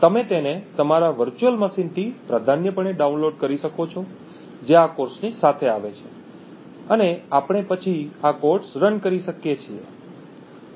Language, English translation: Gujarati, So, this code can be downloaded preferably you can download it from your virtual machine which comes along with this course and we could then run these codes